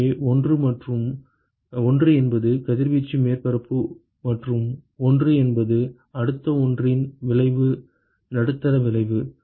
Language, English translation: Tamil, So, 1 is the reradiating surface and 1 is the effect of the next one is the effect of medium